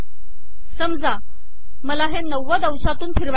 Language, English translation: Marathi, Suppose angle, I want to rotate by 90 degrees